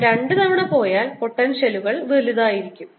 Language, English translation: Malayalam, if i go twice the potential will be larger